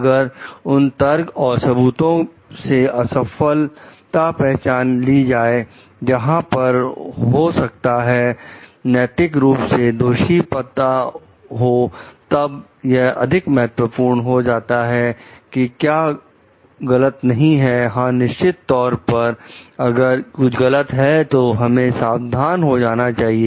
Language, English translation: Hindi, So, if failure to recognize those arguments and evidence; so, that is where maybe the morally blameworthy know, things becomes more important which is not the mistake; yes, definitely mistake we have to be careful